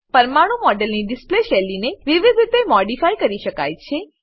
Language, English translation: Gujarati, The style of display of molecular model can be modified in various ways